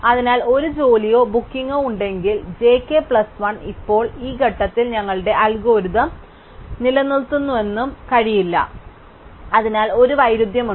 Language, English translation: Malayalam, So, if there is a job or a booking j k plus 1, then it cannot be that our algorithm stopped at this point, so there is a contradiction